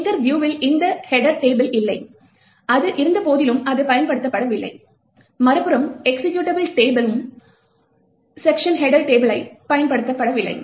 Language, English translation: Tamil, While in the linker view this program header table was not, although it was present, it was not used, while in the executable view on the other hand, they section header table is not used